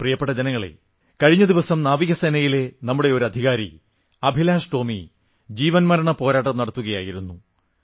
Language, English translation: Malayalam, My dear countrymen, a few days ago, Officer AbhilashTomy of our Navy was struggling between life and death